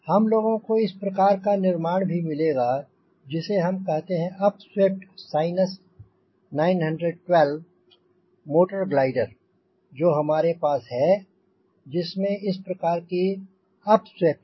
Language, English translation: Hindi, we will also find this sort of a construction because upswept sinus nine, one, two motor glider which we have has this sort of a upswept more